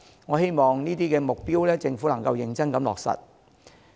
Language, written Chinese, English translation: Cantonese, 我希望政府能夠認真落實這些目標。, I hope that the Government can seriously achieve these targets